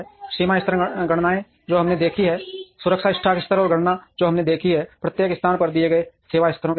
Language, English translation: Hindi, Reorder levels computations that we have seen, safety stock levels and computations that we have seen, at each location based on given service levels